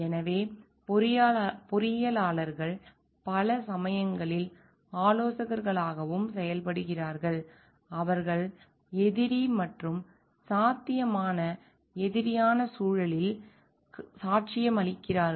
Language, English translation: Tamil, So, engineers many times also serve as consultants who provide testimony in adversarial and potential adversarial context